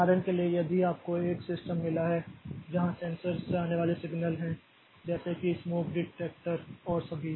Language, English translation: Hindi, For example, if we have got a system where there are signals coming from sensors like say smoke detector and all